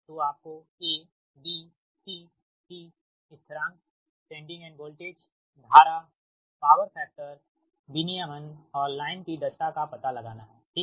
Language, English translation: Hindi, you have to find out a, b, c, d, constant sending, end voltage, current and power, power factor, regulation and efficiency of the line